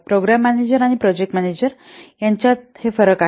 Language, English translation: Marathi, These are the differences between program managers and the project managers